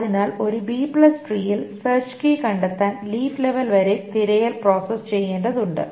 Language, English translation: Malayalam, So to find a search key for a B plus tree, the search has to process all the way up to the leaf level